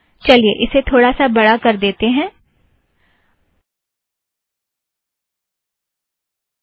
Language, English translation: Hindi, Let me also make it slightly bigger